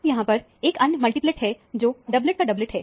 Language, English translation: Hindi, Now, there is another multiplet here, which is a doublet of a doublet